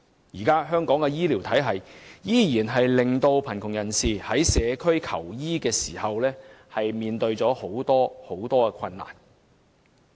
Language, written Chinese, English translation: Cantonese, 香港現行的醫療體系，依然令貧窮人士在社區求醫時面對重重困難。, Under the existing health care system in Hong Kong the poor still have great difficulty seeking medical consultation in their community